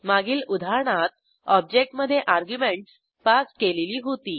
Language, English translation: Marathi, And in our previous example we have passed the arguments within the Object